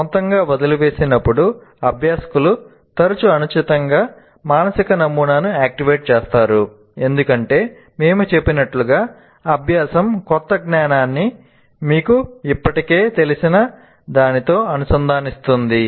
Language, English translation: Telugu, When left on their own learners often activate an inappropriate mental model because as we said, the learning constitutes somehow connecting the new knowledge to something that you already know